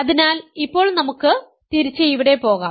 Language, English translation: Malayalam, So, now let us go back here